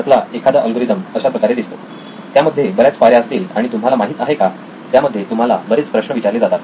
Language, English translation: Marathi, One of the algorithm looks like this, so many steps and you know it asks you certain questions